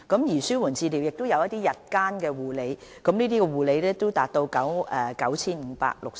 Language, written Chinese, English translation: Cantonese, 此外，紓緩治療服務亦涉及日間護理，就診人次達 9,560。, In addition palliative care service also involves day care and the attendance stood at 9 560